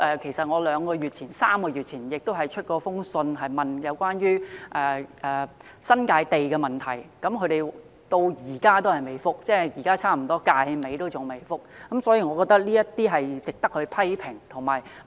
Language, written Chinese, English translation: Cantonese, 其實，我在兩三個月前曾致函政府，詢問關於新界土地的問題，但政府至今——即近本屆立法會任期尾聲——仍未給我回覆，我覺得這是值得批評的。, As a matter of fact I wrote to the Government some two to three months ago to ask questions about land in the New Territories but until now―nearing the end of the current term of the Legislative Council―the Government has not yet given me any reply and I think this is something that should be criticized